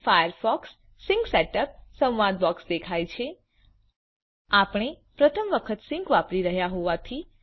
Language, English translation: Gujarati, The Firefox sink setup dialog box appears As we are using sync for the first time